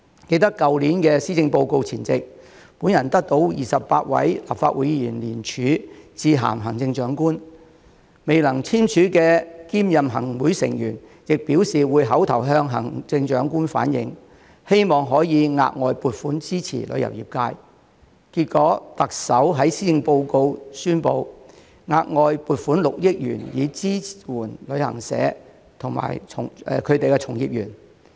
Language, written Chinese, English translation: Cantonese, 記得去年施政報告前夕，我得到28位立法會議員聯署致函行政長官，未能聯署的兼任行會成員亦表示會口頭向行政長官反映，希望可以額外撥款支持旅遊業界，結果特首在施政報告宣布，額外撥款6億元以支援旅行社及其從業員。, I remember that before the delivery of last years Policy Address I was joined by 28 Legislative Council Members in sending a letter to the Chief Executive to convey our hope for additional financial support for the tourism sector . In addition those who were concurrently Members of the Executive Council and could not sign the joint letter also indicated that they would verbally convey that hope to the Chief Executive . As a result the Chief Executive announced in the Policy Address that an additional 600 million would be allocated to support travel agents and their staff